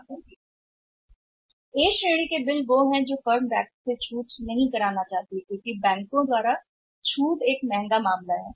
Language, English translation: Hindi, A category of the bills firms do not want to get discounted from the bank because getting the bill discounted for the banks is a costly affair